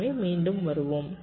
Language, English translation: Tamil, ok, so let us come back